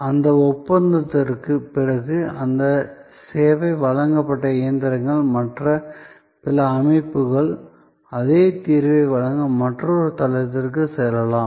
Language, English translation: Tamil, And after that contract that service is provided, the machines and other setups can move to another site to provide the same solution